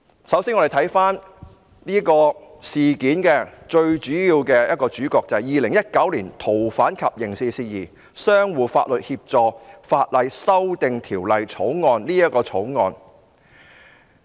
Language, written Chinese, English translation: Cantonese, 首先，讓我們回看事件中最主要的一環，即《2019年逃犯及刑事事宜相互法律協助法例條例草案》。, To begin with let us review the most important link of the whole incident that is the Fugitive Offenders and Mutual Legal Assistance in Criminal Matters Legislation Amendment Bill 2019 the Bill